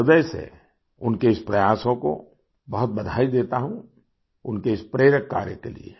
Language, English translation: Hindi, I heartily congratulate his efforts, for his inspirational work